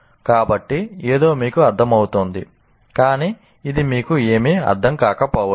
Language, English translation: Telugu, So, something can make sense to you, but it may not mean anything to you